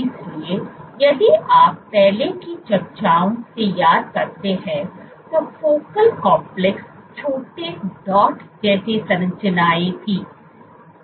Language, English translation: Hindi, So, if you recall from earlier discussions focal complexes where small dot like structures